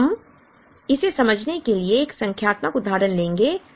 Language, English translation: Hindi, So, we will take a numerical example to explain this